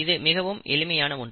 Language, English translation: Tamil, This is a very general principle